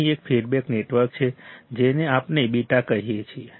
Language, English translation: Gujarati, There is a feedback network here which we call beta right